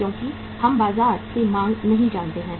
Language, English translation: Hindi, Because we do not know the demand from the market